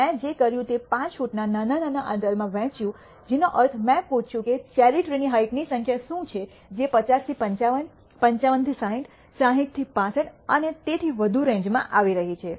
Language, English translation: Gujarati, What I did was divided into small intervals of 5 feet which means I asked what are the number of cherry tree heights which are falling in the range 50 to 55, 55 to 60, 60 to 65 and so on, so forth